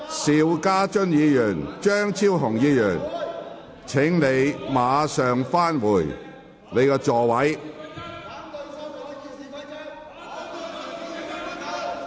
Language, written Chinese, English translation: Cantonese, 邵家臻議員，張超雄議員，請立即返回座位。, Mr SHIU Ka - chun Dr Fernando CHEUNG please return to your seats immediately